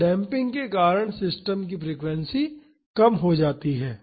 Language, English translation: Hindi, So, because of the damping the frequency of the system decreases